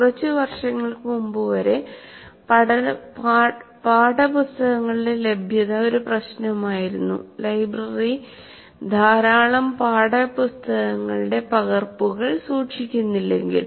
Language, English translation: Malayalam, A few years ago access to textbooks was an issue unless library stores large number of copies